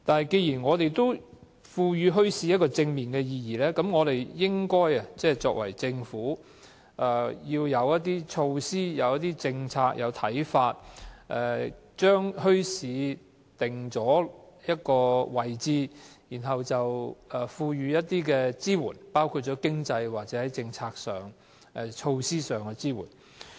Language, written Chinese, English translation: Cantonese, 既然我們賦予墟市正面的意義，政府實應設定一些措施、政策和看法，將墟市定位，並提供支援，包括在經濟、政策及措施上的支援。, Since bazaars have positive implications the Government should formulate some measures policies and ideas for the positioning of bazaars and provide support in respect of financial assistance policies and measures